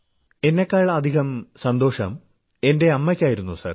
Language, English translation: Malayalam, My mother was much happier than me, sir